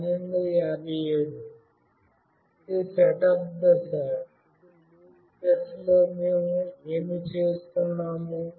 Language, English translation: Telugu, Now, in the loop phase, what we are doing